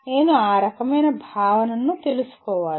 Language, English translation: Telugu, I should know that kind of a concept